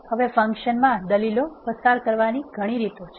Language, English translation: Gujarati, Now, there are several ways you can pass the arguments to the function